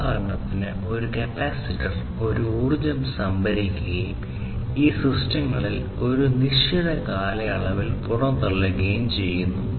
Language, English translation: Malayalam, A capacitor which will store this energy and dissipate over a duration of time, in these systems